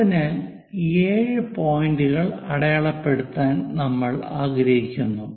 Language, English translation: Malayalam, So, we would like to mark after every 7 points